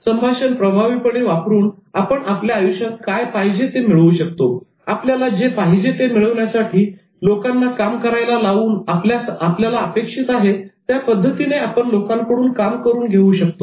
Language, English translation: Marathi, Using communication in an effective manner, you should be able to get what you want in your life through making people work for you in the way you intend them to work in the manner you want them to cause the response that you want